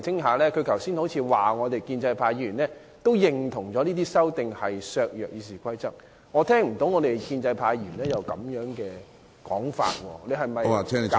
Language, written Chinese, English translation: Cantonese, 他剛才似乎指建制派議員亦認同有關修訂會削弱《議事規則》的效力，但我卻聽不到有建制派議員提出這說法。, According to what he has said a pro - establishment Member also thinks the amendments will undermine the effectiveness of RoP but I have not heard any pro - establishment Member making such a remark